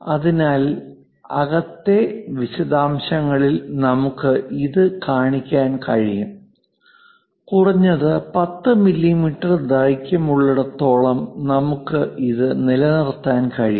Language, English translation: Malayalam, So, the inside details we can show even this dimension as this one also as long as minimum 10 mm length we can maintain it